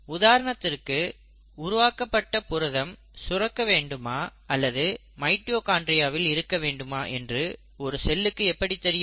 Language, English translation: Tamil, For example how will a cell know that a protein which is synthesised here needs to be secreted or a protein needs to be put into the mitochondria